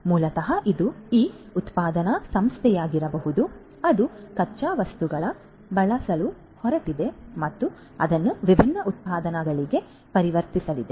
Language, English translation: Kannada, So, basically this could be this manufacturing firm which are going to use the raw materials and are going to transform that into different products